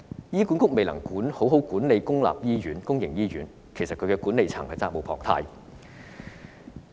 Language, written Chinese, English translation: Cantonese, 醫管局未能好好管理公營醫院，管理層責無旁貸。, Since HA has failed to manage public hospitals properly there is no way for the management to shirk their responsibilities